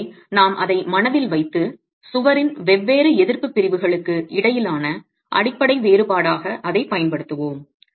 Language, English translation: Tamil, So we'll keep that in mind and use that as the fundamental difference between different resisting sections of the wall itself